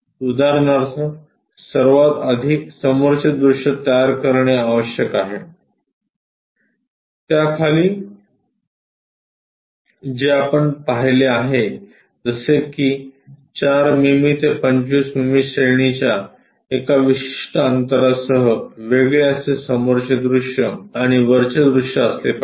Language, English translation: Marathi, For example, first of all one has to construct a front view below that with certain gap which we have seen something like varying from 4 millimeters all the way to 25 millimeters kind of range separated by top view, front view